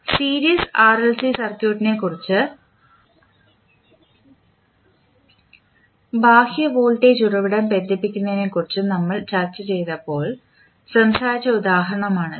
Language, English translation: Malayalam, When we discussed the series RLC circuit and having the external voltage source connected